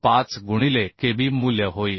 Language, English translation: Marathi, 5 into kb value is 0